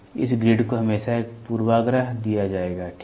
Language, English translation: Hindi, This grid will always be given a bias, ok